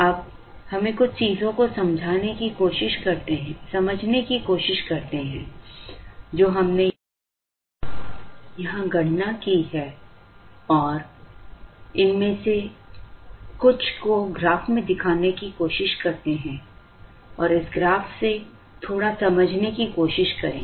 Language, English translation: Hindi, Now, let us try and understand a few things that we have calculated here and let us try and show some of these into this graph and try to understand little bit from this graph